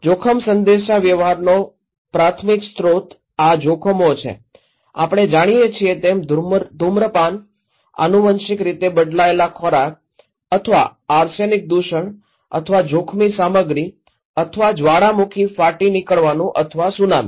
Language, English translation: Gujarati, Primary source of risk communication so these are hazards, we know like smoking, genetically modified foods or irrigations of arsenic contaminations or hazardous material or volcanic eruptions okay or Tsunami